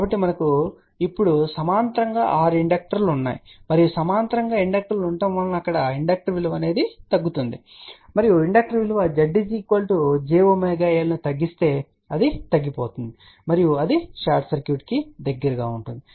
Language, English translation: Telugu, So, we have now 6 inductors in parallel and inductors in parallel there inductor value will reduce and if the inductor value reduces Z equal to j omega will reduce and that will be closer to the short circuit